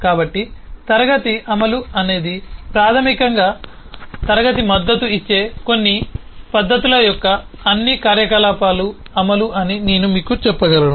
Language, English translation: Telugu, so I can say that the implementation of a class is basically the implementation of all the operations, of all the methods that the class support